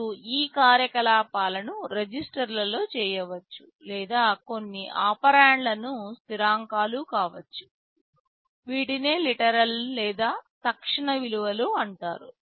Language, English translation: Telugu, You may carry out these operations on registers, or some of the operands may be constants these are called literals or immediate values